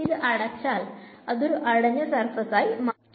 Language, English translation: Malayalam, Now it is a closed surface